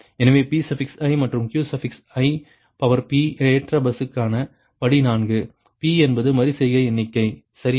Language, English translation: Tamil, so step four, for load buses, pi and qi, p is the iteration count, right